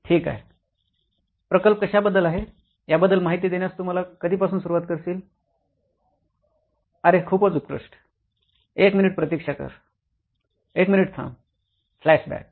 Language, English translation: Marathi, Okay, when to start with your story on what the project is about, oh excellent wait wait wait a minute, wait a minute, FLASHBACK